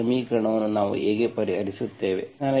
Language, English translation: Kannada, How do we solve this equation